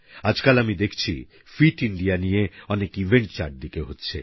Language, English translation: Bengali, By the way, these days, I see that many events pertaining to 'Fit India' are being organised